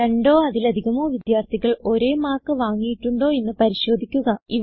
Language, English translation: Malayalam, Check also if two or more students have scored equal marks